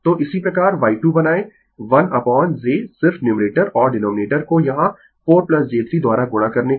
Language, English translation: Hindi, So, similarly Y 2 is equal to you make 1 upon j to just numerator and denominator here you multiply 6 minus j 8